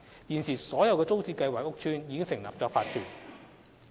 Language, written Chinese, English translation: Cantonese, 現時所有租置屋邨均已成立法團。, As of today OCs are formed in all TPS estates